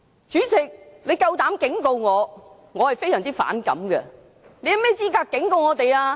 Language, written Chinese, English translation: Cantonese, 主席，你膽敢警告我，我非常反感，你有甚麼資格警告我們？, That is also a form of hegemony . President I am very annoyed that you dare warn me . Are you in a position to warn Members?